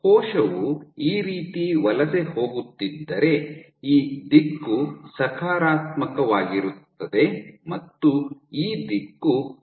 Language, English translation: Kannada, So, if the cell is migrating this way then this direction is positive and this direction is negative